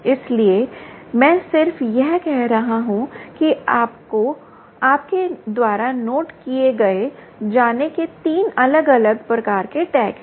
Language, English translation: Hindi, so i am just saying that there are three different types of tags